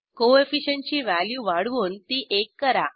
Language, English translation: Marathi, Set the Co efficient value to one